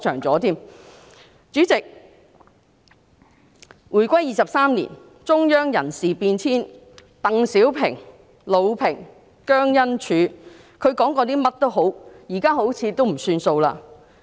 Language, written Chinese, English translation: Cantonese, 主席，回歸23年，中央人事變遷，無論鄧小平、魯平及姜恩柱說過甚麼，現在好像也不算數了。, President over the past 23 years since the reunification there have been personnel changes in the Central Government . No matter what DENG Xiaoping LU Ping and JIANG Enzhu had said it seems that their words do not count now